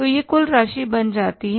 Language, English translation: Hindi, So this becomes the total amount